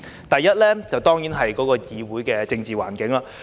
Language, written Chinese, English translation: Cantonese, 第一，當然是議會的政治環境。, The first is of course the political environment of this Council